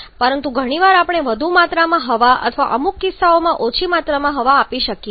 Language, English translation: Gujarati, But quite often we may supply higher amount of air or in certain cases less amount of air